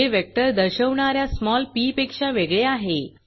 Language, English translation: Marathi, Which is different from small p that was a vector